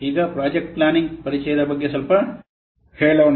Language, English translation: Kannada, Let's a little bit see about the introduction to project planning